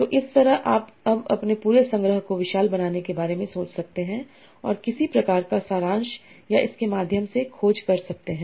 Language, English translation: Hindi, So like that you can now think about organizing your whole collection and also some sort of summarization or searching through this